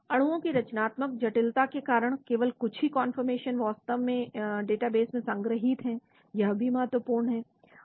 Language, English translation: Hindi, Due to conformational complexity of molecules, only a few of the conformations are actually stored in the databank, that is also important